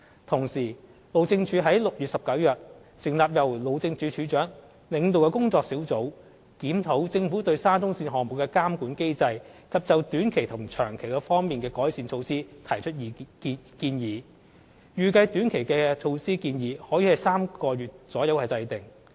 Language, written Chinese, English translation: Cantonese, 同時，路政署於6月19日成立由路政署署長領導的工作小組，檢討政府對沙中線項目的監管機制及就短期及長期方面的改善措施提出建議，預計短期措施建議可於3個月左右制訂。, Meanwhile the Highways Department has set up a working group on 19 June led by the Director of Highways to review the Governments monitoring mechanism over the SCL project and to provide short - term and long - term recommendations on improvement measures . It is anticipated that the short - term recommendations could be drawn up in about three months